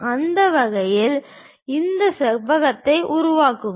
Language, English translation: Tamil, In that way construct this rectangle